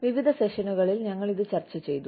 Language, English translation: Malayalam, We have been discussing this, in various sessions